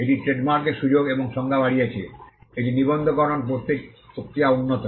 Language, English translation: Bengali, It enlarged the scope and definition of trademark; it improved the process of registration